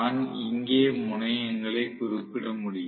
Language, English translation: Tamil, So, I can actually mention the terminals here